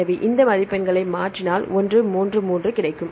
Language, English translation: Tamil, So, if we change these score we get 1 3 3